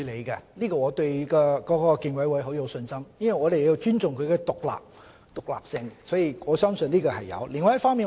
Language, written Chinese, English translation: Cantonese, 這方面我對競委會很有信心，我們要尊重其獨立性，所以我相信競委會是會處理的。, I have very great confidence in the Competition Commission in this regard . We should respect its independence . In brief I believe that the Competition Commission will take actions